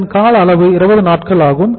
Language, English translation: Tamil, This duration is 20 days